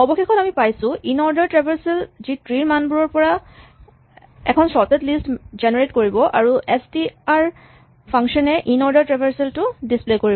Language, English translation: Assamese, Finally, we have this inorder traversal which generates a sorted list from the tree values and the str function just displays the inorder traversal